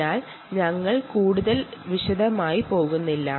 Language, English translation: Malayalam, so we will ah not get into that detail